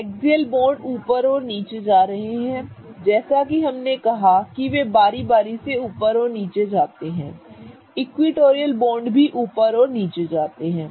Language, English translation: Hindi, So, as you can see similarly as the axial bonds could be going up or down, equatorial bonds can also go up and down